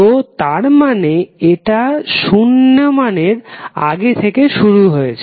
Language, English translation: Bengali, So that means that it is starting before the 0 value